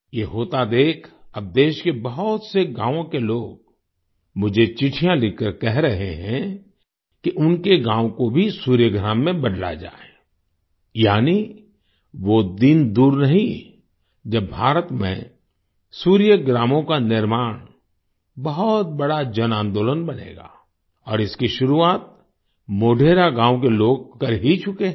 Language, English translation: Hindi, Seeing this happen, now people of many villages of the country are writing letters to me stating that their village should also be converted into Surya Gram, that is, the day is not far when the construction of Suryagrams in India will become a big mass movement and the people of Modhera village have already begun that